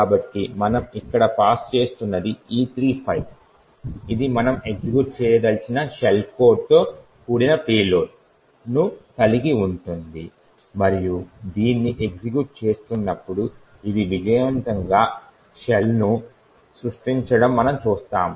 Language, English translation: Telugu, So, what we are passing here is the file E3 which comprises of the payload comprising of the shell code that we want to execute and when we run this what we see is that it successfully creates a shell